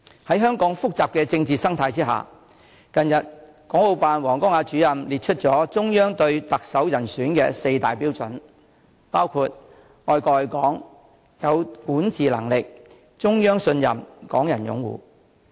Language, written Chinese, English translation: Cantonese, 在香港複雜的政治生態之下，港澳辦主任王光亞近日列出了中央對特首人選的四大標準，包括愛國愛港、有管治能力、中央信任、港人擁護。, Considering the complicated political ecology in Hong Kong WANG Guangya Director of the Hong Kong and Macao Affairs Office of the State Council has recently set out the four major prerequisites of the Chief Executive love for the country and Hong Kong governance ability the Central Authorities trust and Hong Kong peoples support